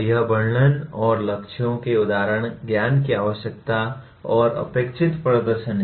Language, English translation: Hindi, That is descriptions and examples of goals, knowledge needed and the performances expected